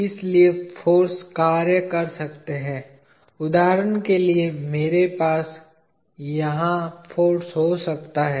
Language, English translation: Hindi, So, forces can act for example, I can have a force over here